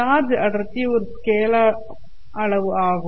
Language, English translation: Tamil, Charge density is a scalar